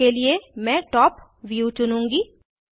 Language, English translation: Hindi, For example, I will choose Top view